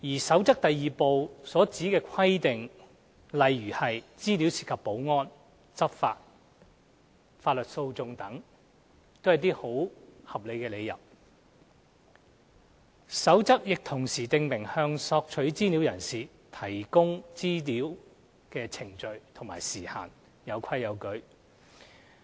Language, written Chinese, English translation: Cantonese, 《守則》第2部所指的規定，例如有關資料涉及保安、執法或法律訴訟程序等，均為合理理由，《守則》亦同時訂明向索取資料人士提供索取資料的程序及時限，有規有矩。, The reasons stipulated in Part 2 of the Code are reasonable grounds for withholding disclosure of information for example if the information concerned relates to security law enforcement or legal proceedings and so on the requests should be refused . The Code also specifies the procedures and time frames for providing information requested and everything is subject to a set of rules and regulations